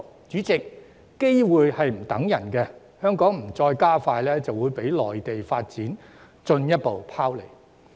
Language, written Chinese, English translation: Cantonese, 主席，機會不會等人，香港如再不加快追趕，就會被內地發展進一步拋離。, President opportunities do not wait . Hong Kong will lag further behind if it does not hurry up to catch up with Mainlands development